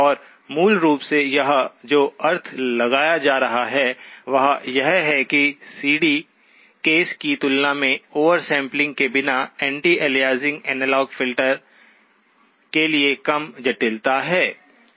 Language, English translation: Hindi, And basically what this one is implying is that there is a lower complexity for the anti aliasing analog filter without oversampling, okay, compared to the CD case, okay